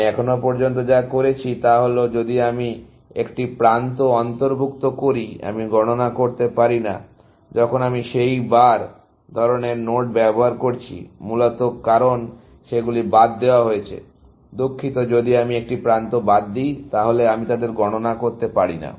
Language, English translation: Bengali, What I did so far was, if I am including an edge, I cannot count at, when I am using those bar kind of node, essentially, because they are excluded, sorry, if I am excluding an edge, then I cannot count them